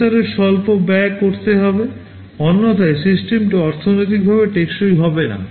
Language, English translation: Bengali, The processor has to be low cost otherwise the system will not be economically viable